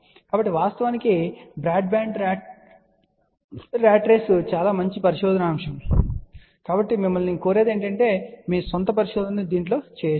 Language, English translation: Telugu, So in fact, broadband ratrace is a very good research topic so, I urge the listeners, you can do little bit of your own search